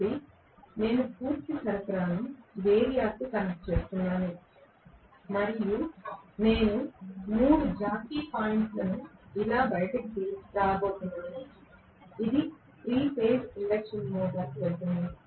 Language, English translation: Telugu, So, I am connecting the full supply to the variac and I am going to have 3 jockey points coming out like this which will go to the 3 phase induction motor right